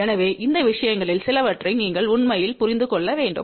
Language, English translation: Tamil, So, you really have to understand some of these things